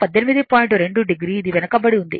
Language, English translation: Telugu, 2 degree it is lagging